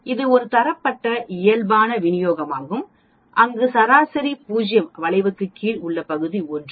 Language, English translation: Tamil, This is a Standardized Normal Distribution where we have the mean as 0, area under the curve is 1 and sigma is 1